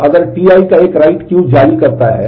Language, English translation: Hindi, So, if T i issues a write Q